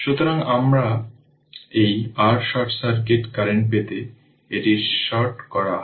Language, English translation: Bengali, To get this your short circuit current, this is shorted this is shorted right